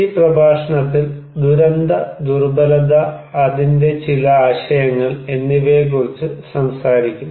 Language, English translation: Malayalam, This lecture, we will talk on disaster vulnerability, some concepts